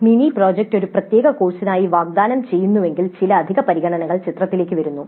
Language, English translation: Malayalam, Now when mini project is offered as a separate course, then some additional considerations come into the picture